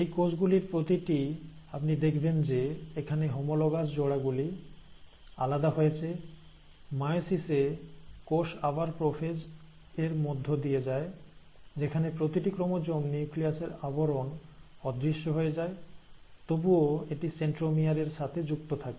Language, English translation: Bengali, Now each of these cells, so you will notice, here the homologous pairs are separated, Now in this, meiosis again, this cell again undergoes the process of prophase, where the nuclear envelope disappears each chromosome, still attached to its centromere